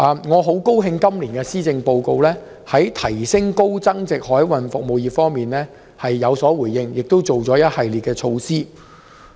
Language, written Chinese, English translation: Cantonese, 我很高興看到今年施政報告在提升高增值海運服務方面有所回應，並推出一系列措施。, I am very glad that in this years Policy Address a series of measures are proposed for upgrading the high value - added maritime services